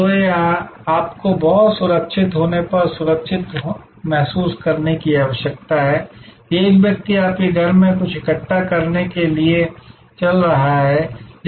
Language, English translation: Hindi, So, you need to be very secure and feel safe that a person is walking into your home to collect something